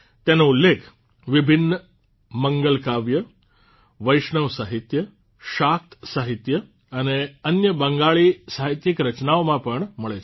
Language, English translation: Gujarati, It finds mention in various Mangalakavya, Vaishnava literature, Shakta literature and other Bangla literary works